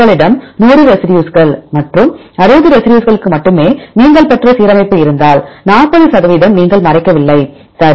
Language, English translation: Tamil, If you have 100 residues and the alignment you obtained only for 60 residues, then 40 percent you do not cover, right